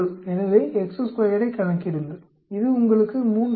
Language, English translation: Tamil, So, compute chi square, it gives you 3